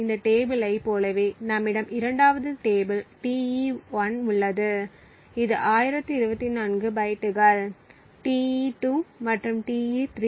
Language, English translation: Tamil, Similar to this table we have the 2nd table Te1 which is also of 1024 bytes, Te2 and Te3